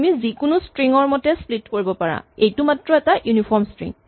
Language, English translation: Assamese, You can split according to any string it's just a uniform string